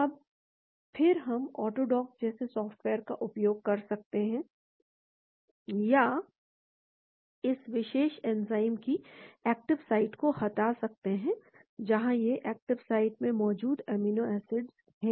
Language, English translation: Hindi, Now, then we can use a software like Auto dock or remove the active site of this particular enzyme, where these are the amino acids present in the active site